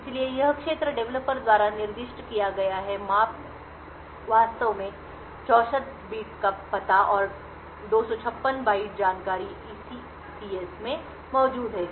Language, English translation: Hindi, So, this region is specified by the developer the measurement actually comprises of a 64 bit address and 256 byte information present the in SECS